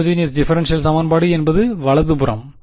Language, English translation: Tamil, Homogeneous differential equation means the right hand side is